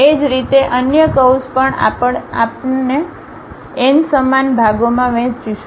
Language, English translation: Gujarati, Similarly, the other curve also we are going to divide it into n equal number of parts